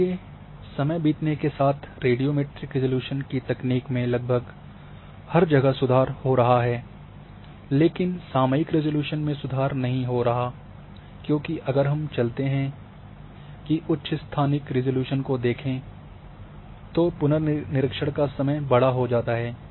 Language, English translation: Hindi, So, radiometric resolutions and as time passing the technology improving we are improving almost everywhere except may be in temporal resolutions, because if we go for higher spatial resolution our temporal resolution that means,the revisit time of observation becomes larger